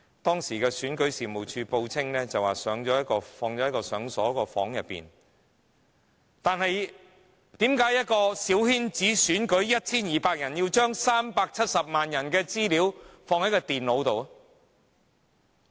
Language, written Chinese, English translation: Cantonese, 當時選舉事務處報稱資料放在一個已鎖上的房間內，但為何一個小圈子選舉，只得 1,200 名選委，卻要將370萬人的資料存放於電腦中呢？, Why that however the personal information of 3.78 million voters of a coterie election with only 1 200 electors on the Election Committee had to be stored in computers?